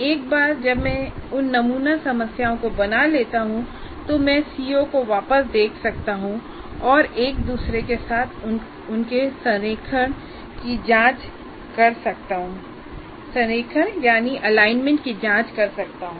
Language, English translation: Hindi, And once I create those sample problems, I can look back at the CO, say, are there really in true alignment with each other